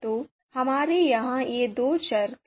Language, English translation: Hindi, So you know why we have these two variables here